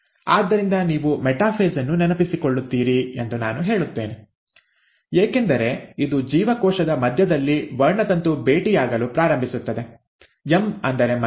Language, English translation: Kannada, So I would say you remember metaphase as it is a point where the chromosome starts meeting in the middle of a cell, M for middle